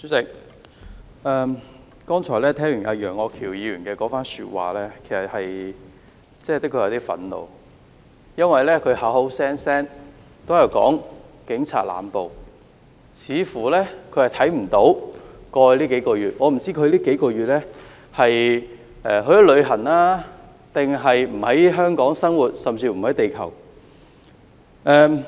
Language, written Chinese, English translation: Cantonese, 主席，我剛才聽完楊岳橋議員的發言，的確有點憤怒，因為他口口聲聲說警察濫捕，似乎他看不到過去數個月的情況，我不知道他過去數個月是否去了旅行，還是不在香港生活，甚至是不在地球？, President having listened to what Mr Alvin YEUNG just said I indeed feel a little angry because he kept saying the Police have been making indiscriminate arrests . He seems ignorant of what has been happening in the past few months . I wonder if he has been out of town or he was not living in Hong Kong or not living on this earth in the past few months